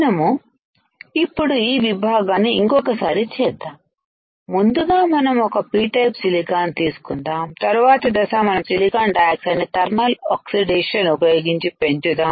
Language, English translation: Telugu, Let us repeat only this section; see first is we take a P type silicon, next step is we grow silicon dioxide right how we grow silicon dioxide by using thermal oxidation